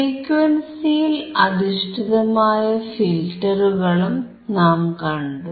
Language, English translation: Malayalam, Then we have also seen the filters based on the frequency